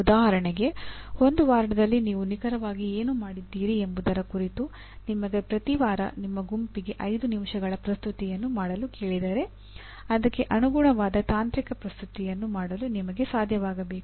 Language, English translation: Kannada, For example if you are asked to make a 5 minute presentation every week to the group what exactly that you have done during that week, you should be able to make the corresponding technical presentation